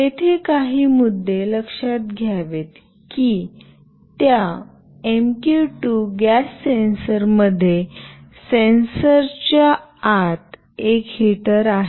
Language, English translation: Marathi, There are certain points to be noted that in that MQ2 gas sensor there is a heater inside the sensor